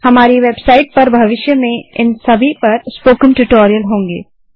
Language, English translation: Hindi, Our website will also have spoken tutorials on these topics in the future